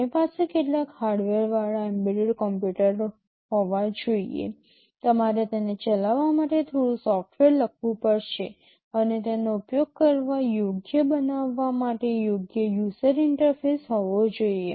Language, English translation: Gujarati, We have to have an embedded computer with some hardware, you have to write some software to do it, and of course there has to be a proper user interface to make it usable